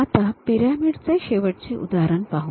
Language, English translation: Marathi, Now, let us look at a last example pyramid